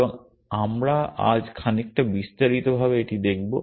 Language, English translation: Bengali, And we will look at this in some detail today